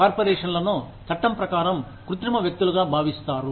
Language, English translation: Telugu, Corporations are regarded as, artificial persons, by the law